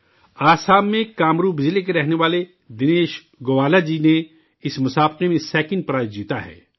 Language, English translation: Urdu, Dinesh Gowala, a resident of Kamrup district in Assam, has won the second prize in this competition